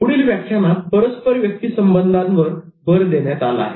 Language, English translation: Marathi, In the next lecture, the focus was on interpersonal transactions